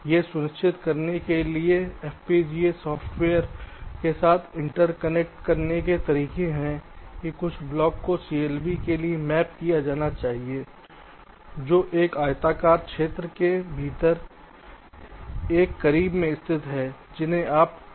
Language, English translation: Hindi, there are ways to inter connect with fpga software to force that certain blocks must be mapped to the clbs which are located in a close neighbourhood, within a rectangular region, those you can specify